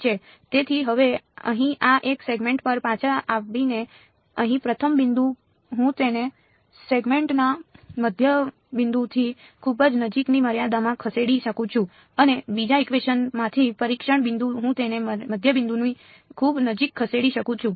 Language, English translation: Gujarati, So, now, coming back to this one segment over here the first point over here I can move it in a limit very close to the midpoint of the segment and the testing point from the 2nd equation I can move it very close to the middle of the segment, again I can take a limit ok